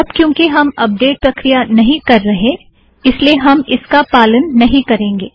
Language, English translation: Hindi, Because we are not going to do the updating now, we will not follow this